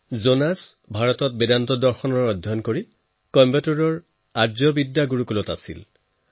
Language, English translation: Assamese, Jonas studied Vedanta Philosophy in India, staying at Arsha Vidya Gurukulam in Coimbatore for four years